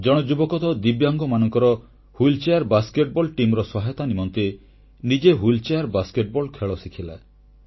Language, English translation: Odia, One young person learned to play wheelchair basket ball in order to be able to help the wheelchair basket ball team of differently abled, divyang players